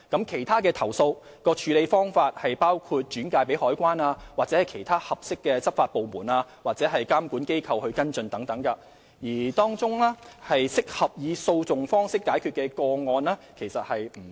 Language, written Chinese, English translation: Cantonese, 其他處理投訴的方法包括轉介香港海關或其他合適的執法部門及監管機構跟進，而當中適合以訴訟方式解決的個案其實不多。, Other ways of handling complaints include referring the cases to the Customs and Excise Department or other law enforcement agencies and regulators as appropriate for follow - up and actually not many of the cases were suitable for resolution by way of litigation